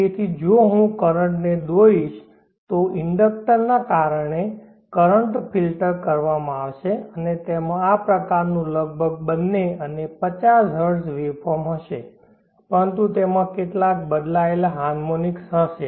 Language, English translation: Gujarati, So if I plot the current, the current will be filtered because the inductor and it will have this kind of almost both and 50 Hertz waveform, but it will have some switching harmonics